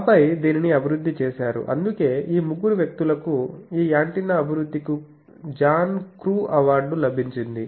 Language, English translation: Telugu, And then that culminated in this, so that is why in these three persons they got the John crews award for antenna this antenna development